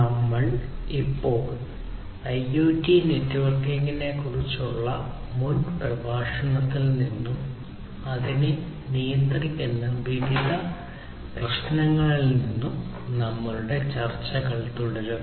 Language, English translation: Malayalam, So, we now continue our discussions from the previous lecture on IoT Networking and the different issues governing it